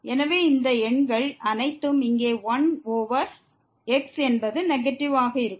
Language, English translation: Tamil, So, all these numbers here 1 over will be negative